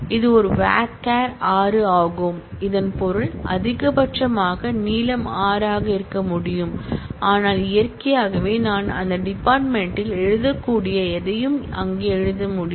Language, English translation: Tamil, It is a varchar 6 which means that it can have a string maximum of length 6, but naturally I can write anything there I can write morning in that field